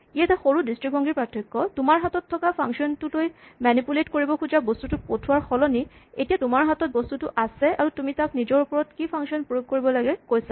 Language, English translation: Assamese, So, this is just a slight difference in perspective instead of having a function to which you pass the object that you want to manipulate you have the object and you tell it what function to apply to itself